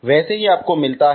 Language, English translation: Hindi, So like this you are getting